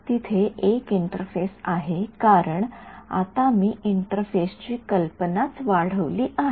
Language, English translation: Marathi, There is an interface it is because, now I have expanded my idea of an interface itself